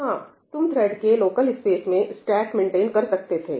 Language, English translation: Hindi, you could possibly maintain the stack also in the thread local space